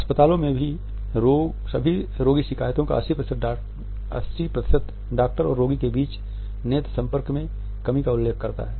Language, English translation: Hindi, 80 percent of all patient complaints in hospitals mention a lack of eye contact between the doctor and the